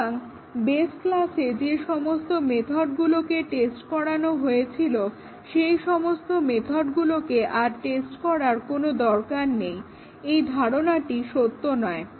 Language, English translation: Bengali, So, the original hope that the methods have been tested at base class will not have to be tested in the derived class is not true